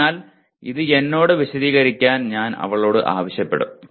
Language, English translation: Malayalam, So I will ask her to explain it to me